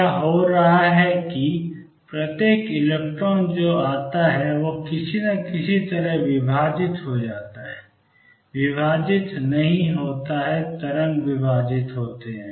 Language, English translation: Hindi, What is happening is each electron that comes somehow gets divided it does not get divided it is wave gets divided